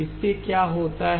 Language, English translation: Hindi, What are they